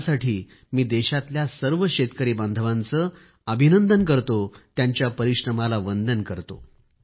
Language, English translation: Marathi, For this I extend felicitations to the farmers of our country…I salute their perseverance